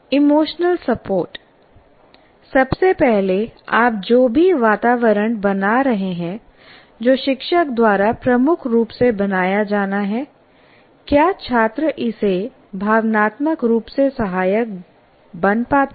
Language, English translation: Hindi, First of all, whatever environment that you are creating, which is dominantly has to be created by the teacher, does the student find it emotionally supported